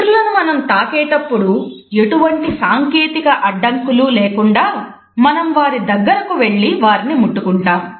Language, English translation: Telugu, When we touch other persons, we find that the technological barriers are absolutely absent, we have to move close to a person and establish a touch